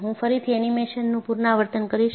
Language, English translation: Gujarati, I will repeat the animation again